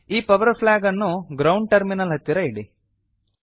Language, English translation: Kannada, Place this power flag near the ground terminal